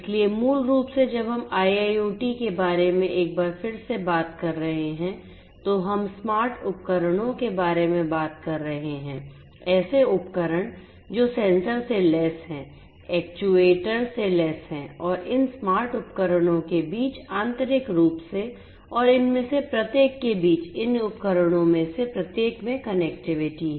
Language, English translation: Hindi, So, basically when we are talking about IIoT once again we are talking about smart devices, devices which are sensor equipped, actuator equipped and so on and these smart devices have connectivity between them internally and also between each of these internal each of these devices in that internal network to the external world